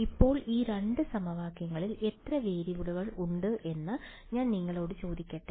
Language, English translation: Malayalam, Now, let me ask you how many variables are there in these 2 equations